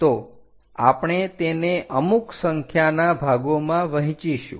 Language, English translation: Gujarati, So, what we are going to do is divide into different number of parts